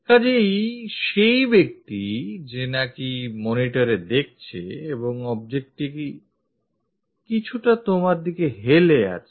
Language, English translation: Bengali, So, you are the person, who is looking at the monitor and the object is slightly inclined with you